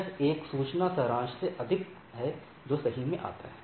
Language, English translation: Hindi, It is more of a information summarizations which comes into play right